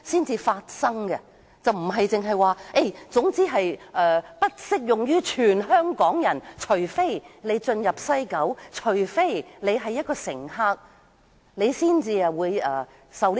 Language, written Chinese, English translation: Cantonese, 政府不能只說總之《條例草案》並非適用於全香港人，只有進入西九龍站的乘客才受管制。, The Government cannot argue that the Bill will not be applied to all Hong Kong people and only passengers entering the West Kowloon Station will be regulated